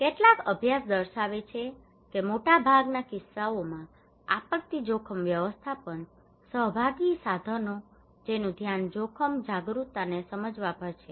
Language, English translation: Gujarati, Some studies is showing that most of the cases disaster risk management participatory tools their focus is on understanding the risk awareness